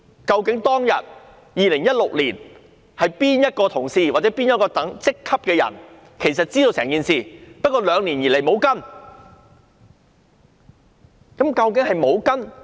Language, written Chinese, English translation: Cantonese, 究竟2016年當天有哪位同事或哪一職級的人員知道整件事情，但兩年以來也沒有跟進？, Which staff member or which level of officer had been informed of the whole affair on that day in 2016 but had not followed up for two years?